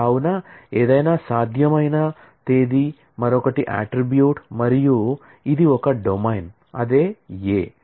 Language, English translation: Telugu, So, any possible date, other is an attribute and this is the domain, which is A